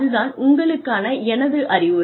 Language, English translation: Tamil, That is my advice to you